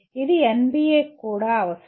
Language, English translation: Telugu, This is also required as by the NBA